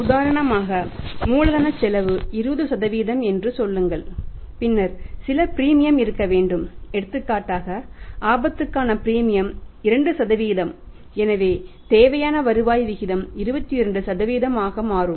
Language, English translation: Tamil, Say for example the cost of capital is 20% then some premium should be there for example premium for the risk is 2% so my required rate of return will become 22%